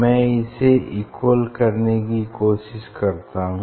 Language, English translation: Hindi, I try to make it equal